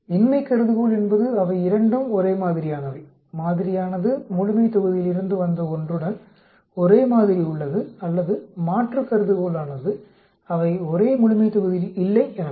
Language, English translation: Tamil, The null hypothesis they are both same, the sample is same from the population or alternate will be they are not in the same population